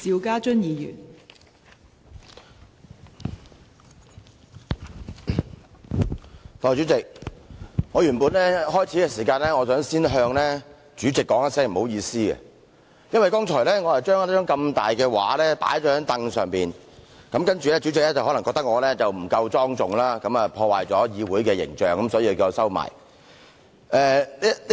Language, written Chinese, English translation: Cantonese, 代理主席，我原本打算在開始時先向主席說聲"不好意思"，因為剛才我將這幅大型照片放在椅子上，主席可能認為我不夠莊重，破壞議會的形象，所以叫我把它收起來。, Deputy President I intended to say sorry to the President at the beginning as I placed this large picture on the chair earlier on . The President might think that I did not quite observe decorum which would in turn tarnish the image of the Council so he asked me to put it aside